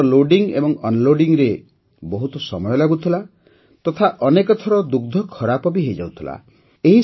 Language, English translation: Odia, Firstly, loading and unloading used to take a lot of time and often the milk also used to get spoilt